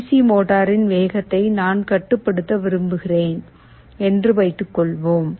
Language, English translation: Tamil, Suppose I want to control the speed of a DC motor